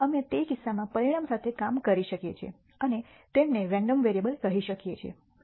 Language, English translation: Gujarati, We can work with the outcomes themselves in that case and call them random variables